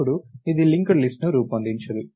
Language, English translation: Telugu, Now, this does not form a linked list